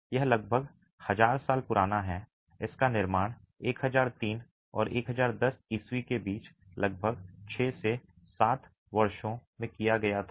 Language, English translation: Hindi, It was constructed between thousand three and thousand six, thousand ten AD, about six to seven years